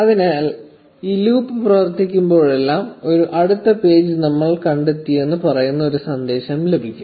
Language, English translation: Malayalam, So, every time this loop executes, this message saying that we found a next page will be printed